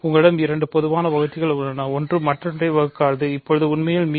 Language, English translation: Tamil, So, you have two common divisors, one does not divide the other, ok